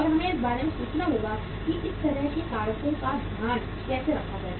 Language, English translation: Hindi, And we will have to think about that how to take care of such kind of the factors